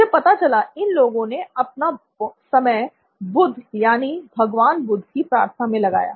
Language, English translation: Hindi, And I found out that the people had devoted a lot of time into praying Buddha, Lord Buddha